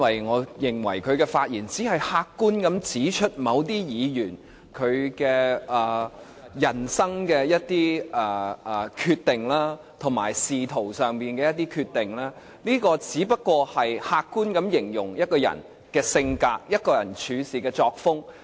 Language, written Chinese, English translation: Cantonese, 我認為他的發言只是客觀地指出某些議員的人生及仕途上一些決定，只是客觀地形容一個人的性格及處事作風。, To me his speech is only an objective account of some decisions made by certain Members in their lives and for their careers . His remark is rather an objective description of someones personality and work style only